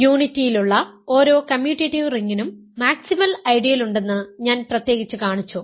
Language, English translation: Malayalam, I showed in particular that every commutative ring with unity has a maximal ideal